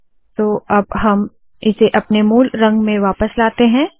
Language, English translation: Hindi, So what I will do is, I will take this back to the original color